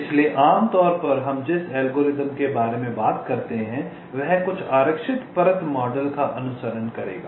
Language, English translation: Hindi, so usually most of the algorithm we talk about will be following some reserved layer model